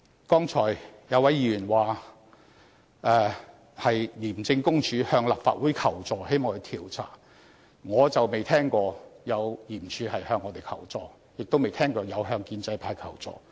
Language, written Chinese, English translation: Cantonese, 剛才有一位議員說廉署向立法會求助，希望作出調查，我卻不曾聽聞有這樣的事情，亦沒有聽過廉署向建制派求助。, According to one Member ICAC wants to seek help from this Council hoping that an inquiry into the incident can be conducted . Yet I have never heard of that nor have I ever heard of ICACs seeking of help from the pro - establishment camp